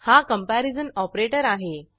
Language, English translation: Marathi, This is the comparison operator